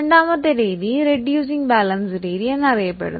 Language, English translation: Malayalam, The second method is known as reducing balance method